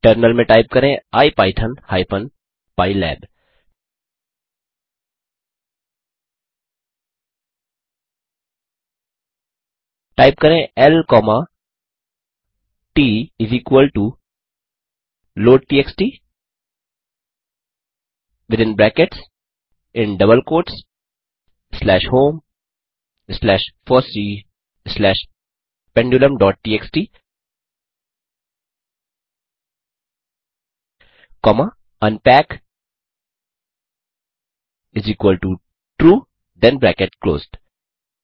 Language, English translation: Hindi, Type in the terminal ipython hypen pylab Type l comma t = loadtxt within brackets in double quotes slash home slash fossee slash pendulum.txt comma unpack=True then bracket closed